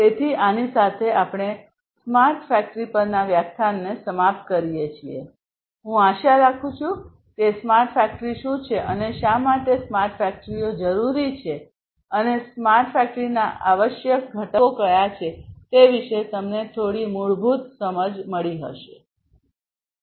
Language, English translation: Gujarati, So, with this we come to an end of the lecture on smart factory, I hope that by now you have some basic understanding about what smart factory is, and why smart factories are required, and what are the essential constituents of a smart factory